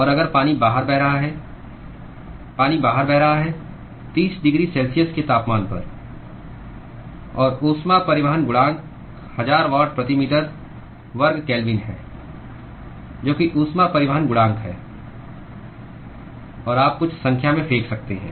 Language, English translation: Hindi, And if water is flowing outside water is flowing outside with at a temperature of 30 degree C; and the heat transport coefficient is 1000 watt per meter square Kelvin that is the heat transport coefficient; and you can throw in some numbers